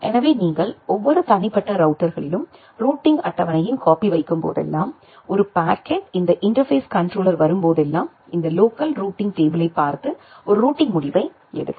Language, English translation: Tamil, So, whenever you are putting a copy of the routing table at every individual routers, whenever a packet comes this interface controller it makes a routing decision by looking into this local routing table